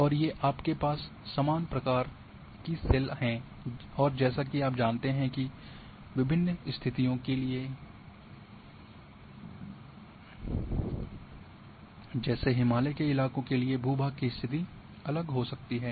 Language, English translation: Hindi, And these are equal size cells you are having and as you know that for different situations because the terrain conditions might be different for Himalayan terrain the conditions are different